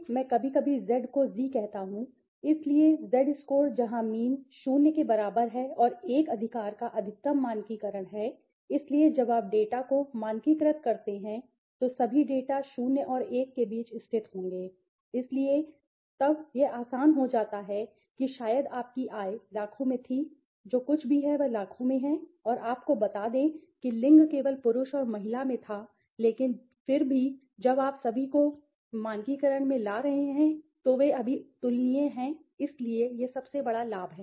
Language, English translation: Hindi, So, I sometimes says Z sometimes Zee, so the Z score where the mean is equal to 0 and the maximum standardization of 1 right, so when you standardize the data, so all the data will lie between 0 and 1, all the data will lie between 0 and 1, so then it becomes easier maybe your income was in lakhs, crores whatever it is millions and you are let us say gender was only in male and female but still when you are bringing all them into standardizing they are comparable now right, so that is one the biggest benefits